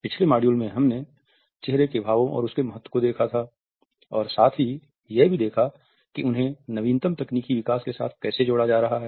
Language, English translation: Hindi, In the previous module, we had seen the significance of facial expressions and how they are being linked with the latest technological developments